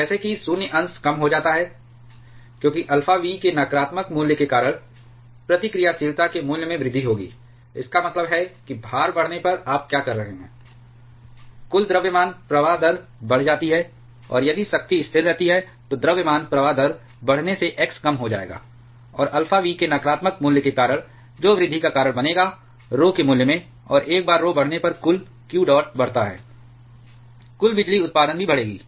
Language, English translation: Hindi, And as the void fraction reduces, because of the negative value of alpha v, that will cause an increase in the value of reactivity; that means, what you are saying when the load increases, total mass flow rate of coolant that increases, and if power remains constant then increasing mass flow rate will reduce the x, and because of the negative value of alpha v that will cause a increase in the value of rho, and once rho increases total q dot increases, total power production that will also increase